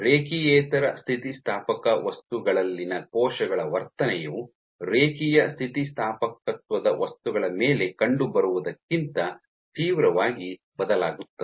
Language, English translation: Kannada, So, the behaviour of cells in those non linear elastic materials varies drastically from that observed on materials of linear elastic